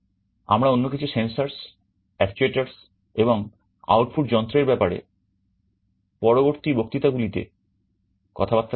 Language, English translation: Bengali, We shall be continuing by talking about some other sensors and actuators, and output devices in the next lectures